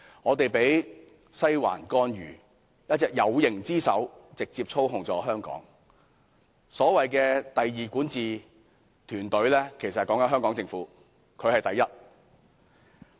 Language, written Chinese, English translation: Cantonese, 我們被"西環"干預，一隻"有形之手"直接操控香港，而所謂的"第二管治"團隊，其實是指香港政府，"西環"才是第一。, We are intervened by the Western District . A tangible hand is exercising direct control over Hong Kong . The so - called second governance team is in fact referring to the Hong Kong Government for the Western District is the first